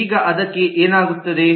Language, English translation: Kannada, what will happen to that